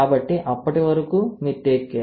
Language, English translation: Telugu, So, till then you take care